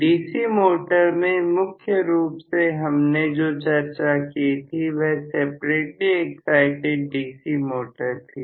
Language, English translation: Hindi, So, in DC motor mainly what we had discussed was separately excited DC motor